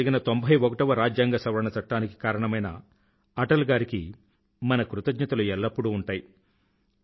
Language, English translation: Telugu, India will remain ever grateful to Atalji for bringing the 91st Amendment Act, 2003